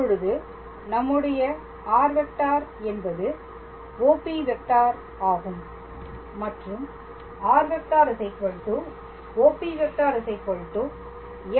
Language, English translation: Tamil, So, now then our vector r is OP all right and OP is f t